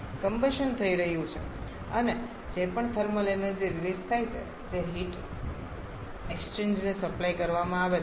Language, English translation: Gujarati, The combustion is happening and whatever thermal energy is released that is being supplied to a heat exchanger